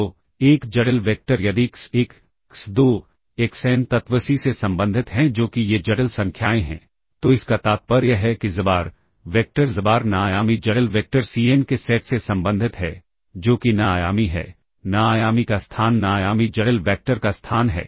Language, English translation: Hindi, So, a complex vector if x1, x2, xn are elements belong to C that is these are complex numbers, then this implies that xbar, the vector xbar belongs to the set of n dimensional complex vector Cn that is, this is n dimensional, the space of n dimensional the space of n dimensional complex vectors